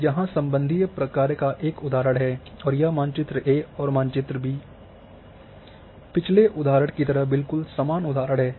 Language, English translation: Hindi, Now an example of relational function here is the example is given for a greater than and this map A and map B are the same example in case of previous example